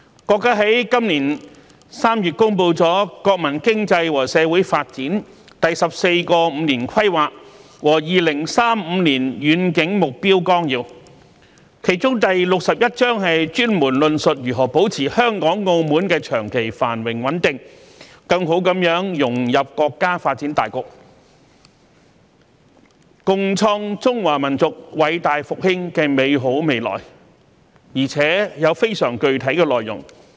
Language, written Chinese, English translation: Cantonese, 國家在今年3月公布《中華人民共和國國民經濟和社會發展第十四個五年規劃和2035年遠景目標綱要》，其中第六十一章專門論述如何保持香港、澳門長期繁榮穩定，更好融入國家發展大局，共創中華民族偉大復興的美好未來，而且內容非常具體。, In March this year the country published the Outline of the 14th Five - Year Plan for National Economic and Social Development of the Peoples Republic of China and the Long - Range Objectives Through the Year 2035 in which Chapter 61 specifically stated how to maintain the long - term prosperity and stability of Hong Kong and Macao better integrate into the overall development of the country and work together to bring about the great rejuvenation of the Chinese nation . The content of this Chapter is very specific